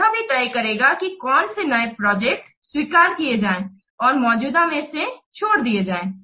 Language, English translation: Hindi, This will decide which project to accept and which existing project to drop